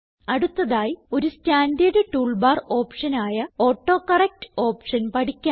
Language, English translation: Malayalam, Let us now learn about another standard tool bar option called AutoCorrect